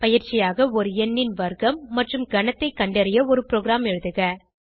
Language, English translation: Tamil, As an assignment, Write a program to find out the square and cube of a number